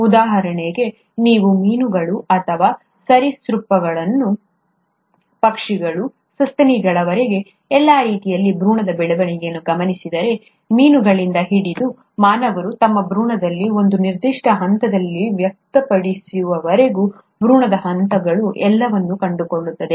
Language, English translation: Kannada, For example, if you were to look at the embryonic development of fishes or reptiles, birds, all the way up to mammals, we find that the embryonic stages, all of them, right from fishes till humans express at a certain stage in their embryonic development, a structure called as the gill pouch, which is around this area